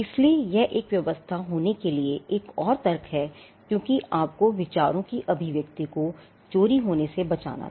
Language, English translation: Hindi, So, that is another rationale for having a regime because you had to protect the expression of ideas from being stolen